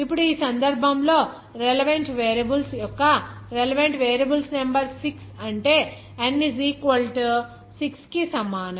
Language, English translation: Telugu, Now in this case what will be the relevant variables number of relevant variables is 6 that n is equal to 6